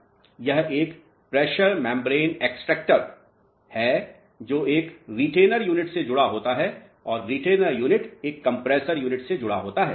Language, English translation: Hindi, This is a pressure membrane extractor which is connected to a retainer unit and retainer unit is connected to a compressor unit